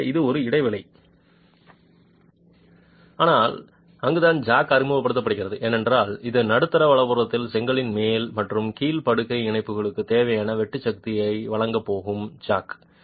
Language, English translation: Tamil, This also was a gap but that is where the jack is introduced because that is the jack that is going to provide the shear force required for the two joints, upper and lower bed joints of the brick in the middle